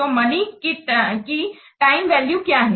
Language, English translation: Hindi, So, what is the time value of the money